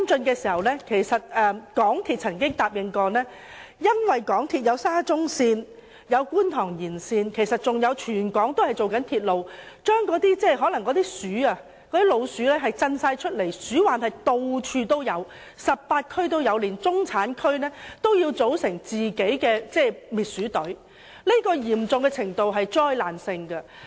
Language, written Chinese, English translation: Cantonese, 由於香港鐵路有限公司進行沙田至中環線、觀塘線延線，以及全港各地區其他多項鐵路工程，導致老鼠空群而出 ，18 區處處都有鼠患，連中產區也要自組滅鼠隊，這種情況是災難性的。, As the MTR Corporation Limited is undertaking the construction of the Shatin to Central Link the Kwun Tong Line Extension and other railway projects in various districts of Hong Kong rodent infestation in all the 18 districts is so catastrophic that even middle - class residential areas have to organize their own rodent control squads